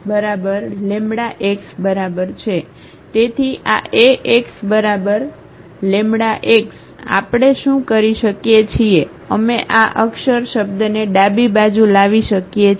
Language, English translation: Gujarati, So, this Ax is equal to lambda x what we can do we can bring this lambda x term to the left hand side